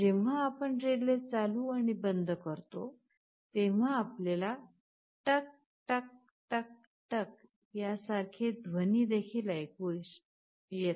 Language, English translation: Marathi, When we switch a relay ON and OFF, you can also hear a sound tuck tuck tuck tuck like this